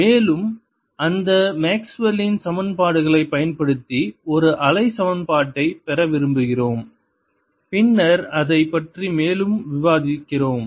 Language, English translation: Tamil, in this lecture i want to use them the way maxwell has written it and using those maxwell's equations we want to derive a wave equation and then discuss it further